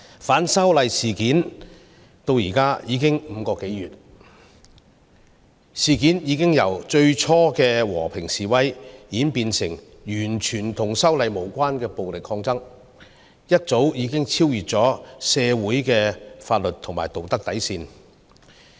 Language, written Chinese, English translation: Cantonese, 反修例事件發生至今已經5個多月，事件已由最初的和平示威，演變為完全與修例無關的暴力抗爭，早已超越社會的法律和道德底線。, Should we condone such acts in a civilized society? . It has been five - odd months since the anti - extradition bill incident happened . The incident has evolved from peaceful protests to violent resistance which is totally unrelated to the original incident and has way passed the bottom line of the law and ethics of society